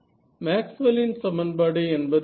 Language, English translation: Tamil, Maxwell’s equations right